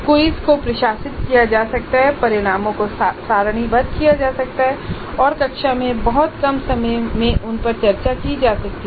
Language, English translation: Hindi, The quiz can be administered, the results can be obtained tabulated and they can be discussed in the classroom in a very short time